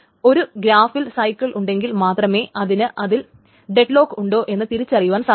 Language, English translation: Malayalam, So, only when there is a cycle in the graph, it can be detected that there is a deadlock